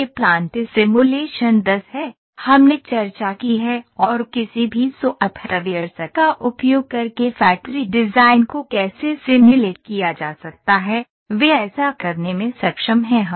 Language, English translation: Hindi, So, this is plant simulation 10; that we have discussed and how factory design can be simulated using any of the softwares those are capable to do this